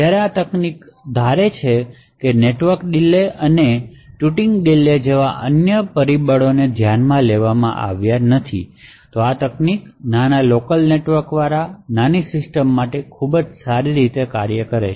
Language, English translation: Gujarati, While this particular technique assumes that other factors like network delays and touting delays and so on are not considered, this technique would work quite well for small systems with small local networks